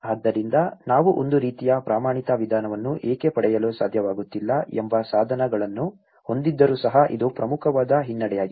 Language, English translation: Kannada, So, this is one of the important draw back despite of having tools why we are not able to get a kind of standard approach